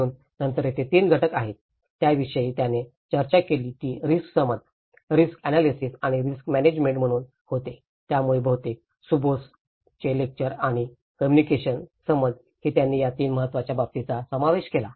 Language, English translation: Marathi, So, then again there are 3 components, which he also discussed was risk perception, risk analysis and the risk management so this is what most of the Shubhos lecturer on risk and also the communication, the perception, he covered these 3 important aspects